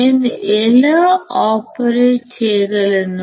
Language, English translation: Telugu, How can I operate